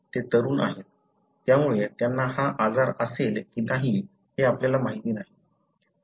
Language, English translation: Marathi, They are young, so we don't know that whether they would have the disease or not